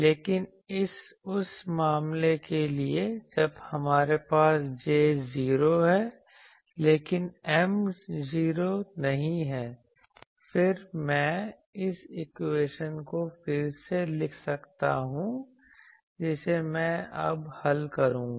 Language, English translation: Hindi, But for the case when we have that J is 0, but M is not 0; then, I can rewrite this equation which I will now solve